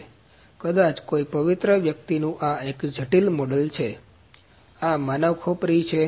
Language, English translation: Gujarati, So, this is a complicated model of maybe some holy person; this is a human skull